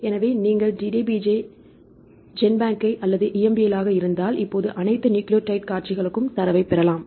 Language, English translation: Tamil, So, if you use the DDBJ right or use the GenBank or is the EMBL now you can get the data for any of the all nucleotide sequences